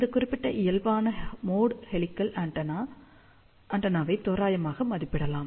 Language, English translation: Tamil, Now, let us talk about normal mode helical antenna